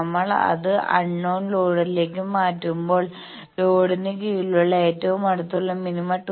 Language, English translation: Malayalam, So, when we have changed that to unknown load then nearest minima under load is at 2